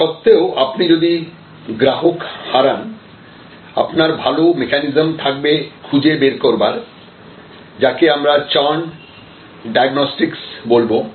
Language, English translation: Bengali, And in spite of that if you lose the customer then also have a good mechanism to find out, so this is what we call churn diagnostics